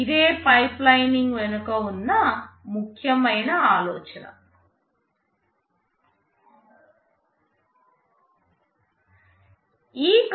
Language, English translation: Telugu, This is the essential idea behind pipelining